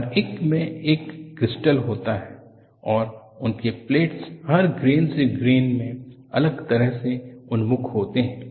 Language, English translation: Hindi, See, each one has a crystal and their planes are oriented differently from grain to grain